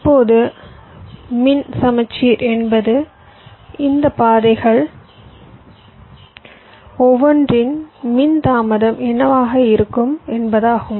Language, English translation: Tamil, now, electrical symmetry means what would be the electrical delay of each of this paths